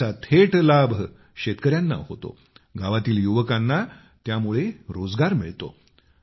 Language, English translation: Marathi, This directly benefits the farmers and the youth of the village are gainfully employed